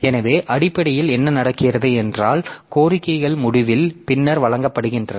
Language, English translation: Tamil, So, basically, so basically what happens is that towards the end the request are served much later